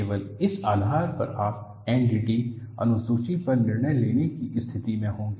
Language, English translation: Hindi, Only on this basis, you would be in a position to decide on the NDT schedule